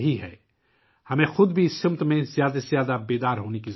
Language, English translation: Urdu, We ourselves also need to be more and more aware in this direction